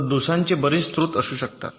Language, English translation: Marathi, so there can be so many sources of faults